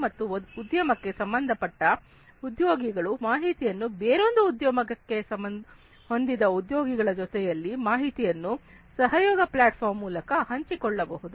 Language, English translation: Kannada, The employees of one industry can share the information with employees of another industry by virtue of use of these collaboration platforms and so on